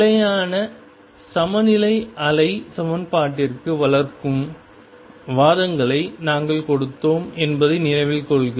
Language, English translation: Tamil, Remember we gave the arguments developing the stationary state to wave equation